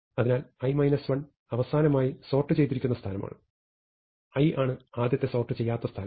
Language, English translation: Malayalam, So, i minus 1 is the last sorted position, i is the first unsorted position